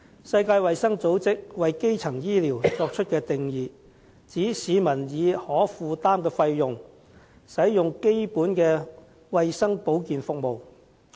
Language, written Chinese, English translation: Cantonese, 世界衞生組織為基層醫療作出的定義為：市民以可負擔的費用，使用的基本衞生保健服務。, The World Health Organization defines primary health care as essential health care services made accessible to the people at costs they can afford